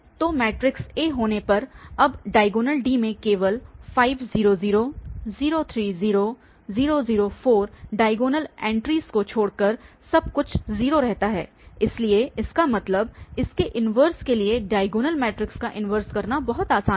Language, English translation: Hindi, So, having this matrix A now the diagonal, the D will be having only 5, 3 and 4 in the diagonal entries rest everything 0, so that means and that to inverse, so for the diagonal matrix getting inverse is very easy we have to just inward the diagonal entries